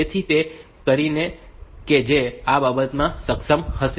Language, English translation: Gujarati, So, that it can so that it will be able to show this